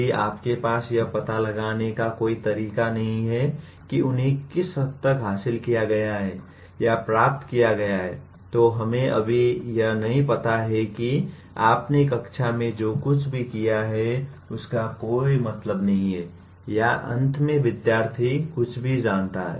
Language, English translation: Hindi, If you have no way of finding out to what extent they have been achieved or attained, we just do not know whether whatever you have done in the classroom makes any sense or in the end student knows anything